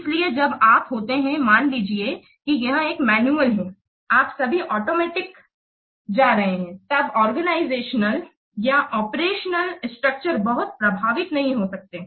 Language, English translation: Hindi, So when you are, say, suppose this is a manual one, you are just going to automate it, then the organizational or the operational structure might not be affected a lot